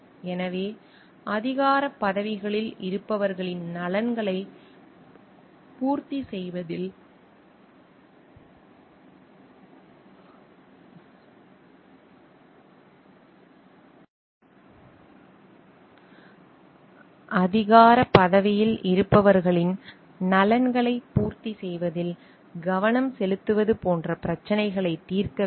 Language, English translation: Tamil, So, the focus while resolving the issues like, it should be on meeting the interests like, of those who are in the positions of authority